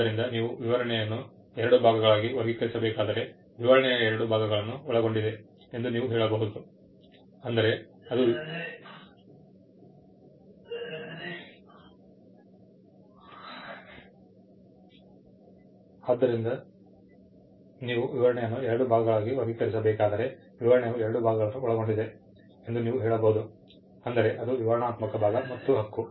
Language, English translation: Kannada, So, if you have to classify the specification into two parts; you will just say the specification comprises of two parts; the descriptive part and the claim